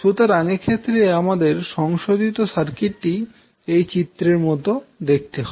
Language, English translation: Bengali, So in that case what will happen your modified circuit will look like as shown in the figure